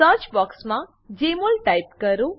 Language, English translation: Gujarati, Type Jmol in the search box